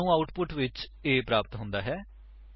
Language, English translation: Punjabi, We get the output as A Grade